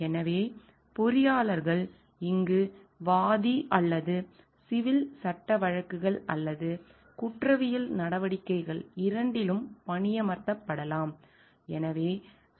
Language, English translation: Tamil, So, engineers may be here hired by either the plaintiff or the deference in both civil law suits or criminal proceedings